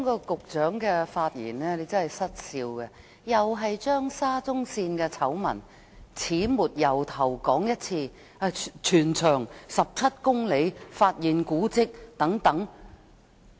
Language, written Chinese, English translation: Cantonese, 局長的發言真的教人失笑，他再次把沙田至中環線醜聞的始末從頭再說一次，例如全長17公里及發現古蹟等。, The Secretarys speech honestly made me laugh . Again he talked about all the backgrounds leading up to the Shatin to Central Line SCL scandal from the very beginning such as its total length of 17 km and the discovery of heritage